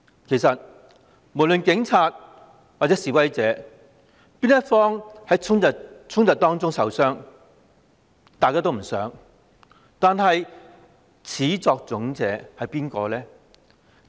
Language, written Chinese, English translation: Cantonese, 其實警察或示威者任何一方在衝突中受傷也是大家不想看到的事，但始作俑者是誰呢？, Actually no one wants to see anyone sustain injuries in the clashes be they policemen or protesters . But who is the culprit in the first place?